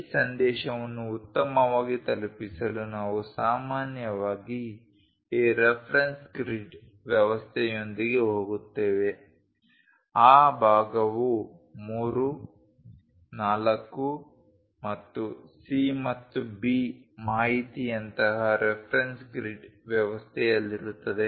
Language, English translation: Kannada, To better convey this message we usually go with this reference grid system the part will be in that reference grid system like 3, 4 and C and B information